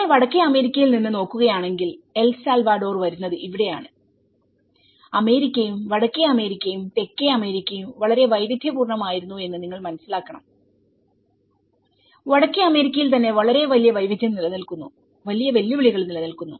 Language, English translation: Malayalam, So, its almost if you look from the North America and so, this is where El Salvador comes and many of you have to understand that the America, the North America and the South America was very diverse even within North America there was very great diversity exist and great challenges exist